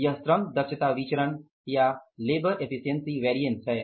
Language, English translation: Hindi, This is the labor efficiency variance or the LEV